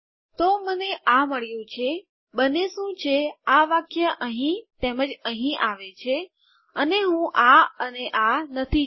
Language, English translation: Gujarati, So Ive got this, what happens is this line comes here and as well as here and I dont want this and this